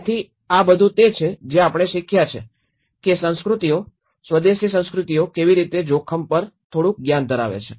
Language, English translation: Gujarati, So this is all, we have learned how cultures, indigenous cultures do possess some knowledge on the risk